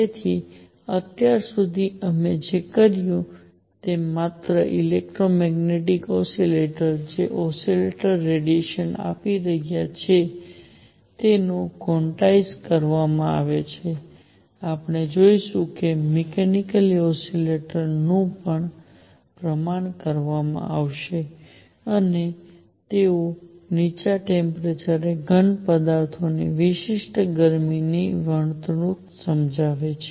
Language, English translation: Gujarati, So, far we have said only electromagnetic oscillators, those oscillators that are giving out radiation are quantized, we will see that mechanical oscillators will also be quantized and they explain the behavior of specific heat of solids at low temperatures